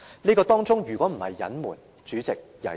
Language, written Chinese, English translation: Cantonese, 這如果不是隱瞞，會是甚麼？, If it was not a cover - up what is it?